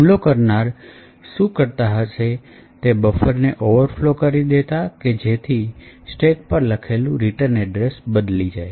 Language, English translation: Gujarati, So, essentially what the attacker would do was overflow the buffer so that the return address which is present on the stack is over written